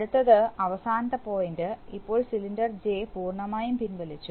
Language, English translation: Malayalam, Next, last point, last point, now cylinder J has retracted fully